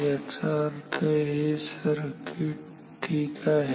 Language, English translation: Marathi, This means this circuit ok